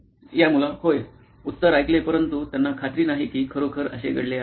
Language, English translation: Marathi, So, these guys, yes, heard the answer but they are not convinced that was really the case